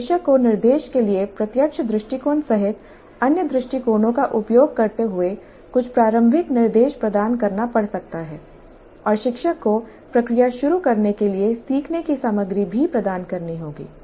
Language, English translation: Hindi, So, instructor may have to provide some initial instruction using other approaches including direct approach to instruction and the teacher has to provide the learning materials as well to kickstart the process